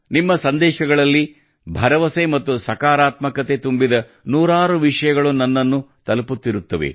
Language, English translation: Kannada, Hundreds of stories related to hope and positivity keep reaching me in your messages